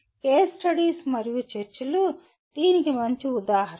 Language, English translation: Telugu, Case studies and discussions are the best examples